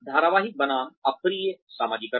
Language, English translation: Hindi, Serial versus disjunctive socialization